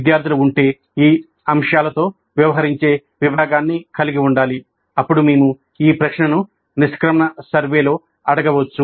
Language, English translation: Telugu, So this also if the students are required to have a section dealing with these aspects, then we can ask this question in the exit survey